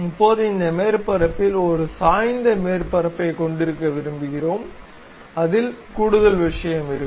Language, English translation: Tamil, Now, on this surface, we would like to have a inclined surface on which there will be additional thing